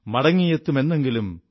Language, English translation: Malayalam, Shall return one day,